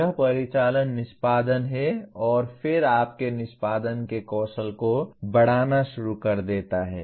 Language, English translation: Hindi, It is operational execution and then starts increasing the skill of your execution